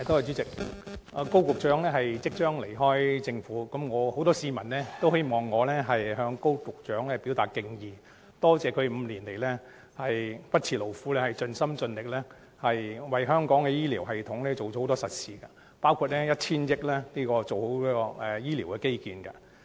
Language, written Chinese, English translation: Cantonese, 主席，高局長即將離開政府，很多市民都希望我向高局長表達敬意，感謝他5年來不辭勞苦，盡心盡力為香港的醫療系統做了很多實事，包括以 1,000 億元進行醫療基建。, President Secretary Dr KO will soon leave the Government . Many members of the public would like me to express gratitude to him and thank him for his hard work and dedication over the past five years to make substantial contributions to the health care system of Hong Kong including injecting 100 billion in building medical infrastructure